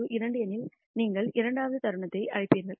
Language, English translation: Tamil, If k equals 2 you will call the second moment and so on so, forth